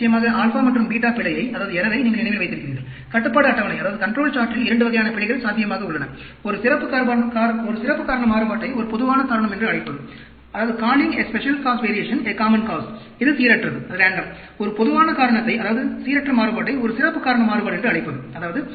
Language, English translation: Tamil, Of course, you remember the alpha and beta error, 2 types of errors possible in control charts, calling a special cause variation a common cause that is random; calling a common cause that is a random variation as a special cause variation